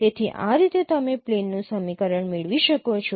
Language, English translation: Gujarati, So, this is how you can get the equation of a plane